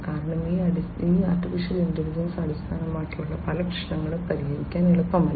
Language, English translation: Malayalam, Because, many of these AI based problems are not easy to solve